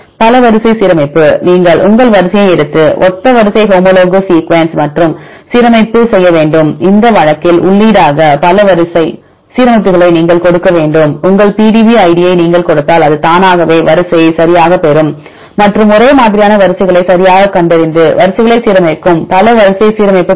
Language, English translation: Tamil, Multiple sequence alignment; so you have to work take your sequence and get the similar sequence homologous sequences and you have to do the alignment and you have to give the multiple sequence alignment as the input in this case if you give your PDB id it will automatically get the sequence right and find the homologous sequences right and then align the sequences get the multiple sequence alignment